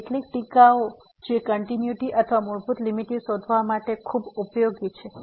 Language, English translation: Gujarati, So, some remarks which are very useful for finding out the continuity or basically the limit